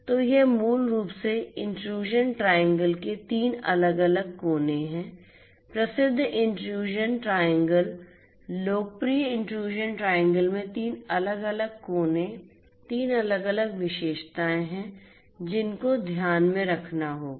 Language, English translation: Hindi, So, this is basically the three different corners of the intrusion triangle the famous intrusion triangle the popular intrusion triangle has three different corners, three different you know features that will have to be taken into account